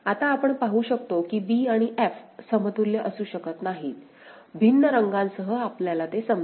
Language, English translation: Marathi, Now, b and f we can see cannot be equivalent, just with different colour to make us understand easily